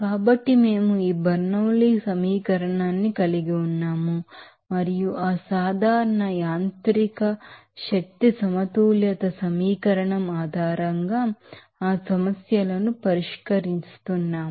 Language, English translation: Telugu, So, we are having this Bernoulli’s equation and solving those problems based on that general mechanical energy balance equation